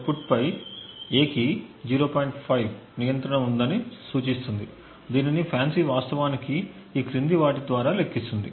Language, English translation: Telugu, 5 on the output, how does FANCI actually compute this is by the following